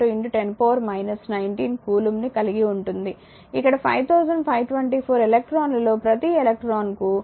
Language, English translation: Telugu, 602 into 10 to the power minus 19 coulomb that we know here is 5524 electrons will have minus 1